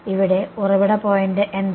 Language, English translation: Malayalam, Here what is the source point